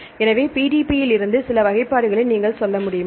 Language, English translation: Tamil, So, can you tell some classification from PBD